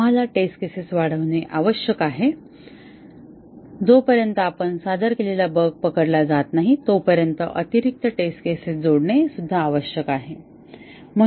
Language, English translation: Marathi, We need to augment our test cases, add additional test cases until the bug that we introduced gets caught